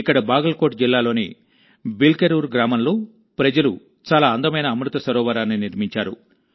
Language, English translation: Telugu, Here in the village 'Bilkerur' of Bagalkot district, people have built a very beautiful Amrit Sarovar